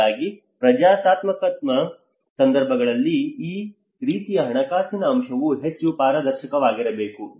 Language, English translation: Kannada, So that is where in a democratic situations like this financial aspect has to be more transparent